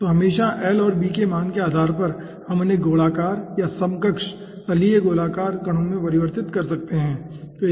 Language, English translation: Hindi, okay, so always, depending on the value of l and b, we can convert those into the spherical or equivalent planer circular particles